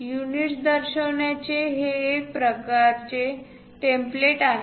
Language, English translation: Marathi, This is a one kind of template to represent units